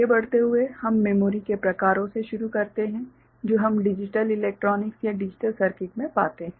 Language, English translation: Hindi, Moving on, we begin with the types of memory that we encounter in digital electronics or digital circuits